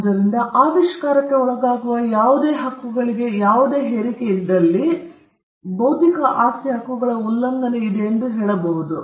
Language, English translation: Kannada, So, if there is a intrusion into any of this rights vis à vis the invention, then we would say that there is an infringement of the intellectual property rights